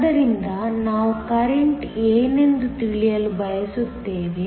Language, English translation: Kannada, So, we want to know what the current is